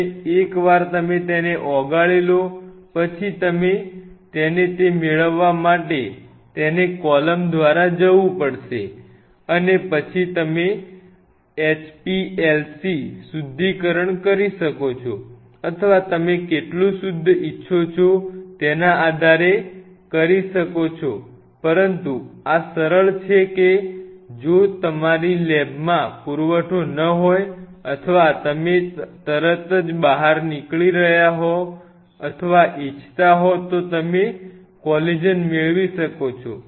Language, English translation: Gujarati, And once you dissolve them then you have to run it through a column to get the fraction you are asking for and then of course, you can do a HPLC purification or something depending on how pure you want it, but this is one of the simplest ways where you can obtain collagen if your lab does not have a supply or you are running out of it immediately or want